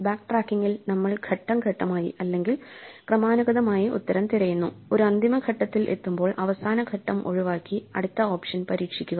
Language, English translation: Malayalam, In backtracking we systematically search for a solution one step at a time and when we hit a dead end we undo the last step and try the next option